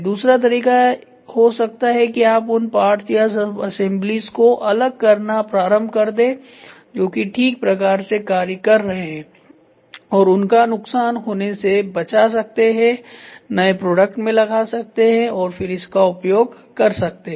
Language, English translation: Hindi, The other way around is start dismantling remove those parts or subassemblies which are good and then try to salvage it put it into a next product and start using it ok